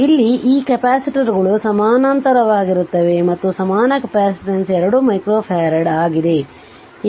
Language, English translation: Kannada, So, this capacitors are in parallel we have an equivalent capacitance is 2 micro farad